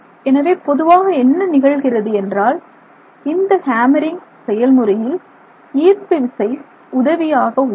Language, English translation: Tamil, So, what is basically happening is you are essentially using gravity to assist you in this hammering process